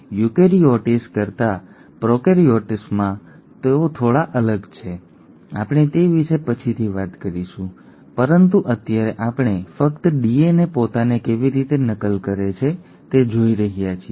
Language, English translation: Gujarati, They are slightly different in prokaryotes than in eukaryotes, we will talk about that later, but right now we are just looking at exactly how DNA copies itself